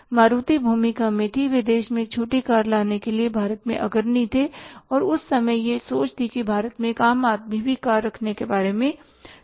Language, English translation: Hindi, Maruti was instrumental, they were the pioneer in India to bring the small car in the country and at that their say thinking was that even a common man India can think of having a car